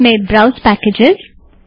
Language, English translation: Hindi, In that, browse packages